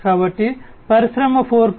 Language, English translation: Telugu, So, in the context of Industry 4